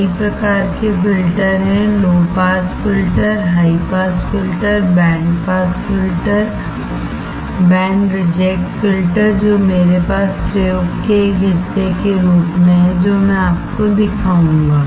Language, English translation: Hindi, There are several type of filters low pass filter, high pass filter, band pass filter, band reject filter that I have as a part of the experiment that I will show you